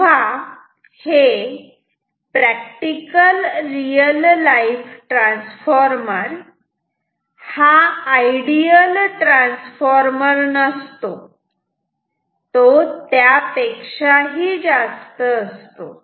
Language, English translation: Marathi, So, a real life transformer is not an ideal transformer it is something more